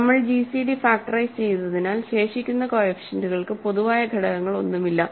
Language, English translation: Malayalam, And because we have factored out the gcd the remaining coefficients have no common factor